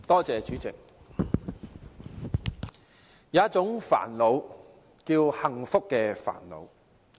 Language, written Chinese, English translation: Cantonese, 主席，有一種煩惱叫幸福的煩惱。, President there is a kind of headache called happy headache